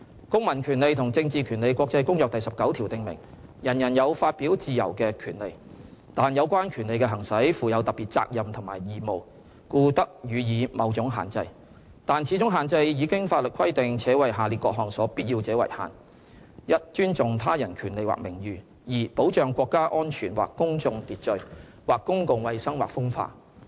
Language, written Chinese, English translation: Cantonese, 《公民權利和政治權利國際公約》第十九條訂明，人人有發表自由的權利，但有關權利的行使，附有特別責任及義務，故得予以某種限制，但此種限制以經法律規定，且為下列各項所必要者為限：一尊重他人權利或名譽；二保障國家安全或公共秩序、或公共衞生或風化。, Article 19 of the International Covenant on Civil and Political Rights stipulates that while everyone shall have the right to freedom of expression the exercise of such a right carries with it special duties and responsibilities . It may therefore be subject to certain restrictions but these shall only be such as are provided by law and are necessary a for respect of the rights and reputations of others; or b for the protection of national security or of public order ordre public or of public health or morals